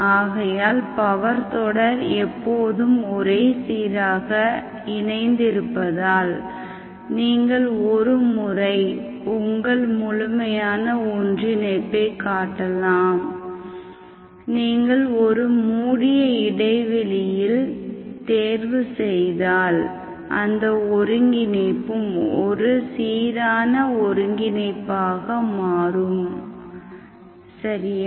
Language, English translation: Tamil, Because the power series is always uniformly converging, you can show that, so once your absolute convergence, if you choose on a closed interval, that is also, the convergence becomes uniform convergence, okay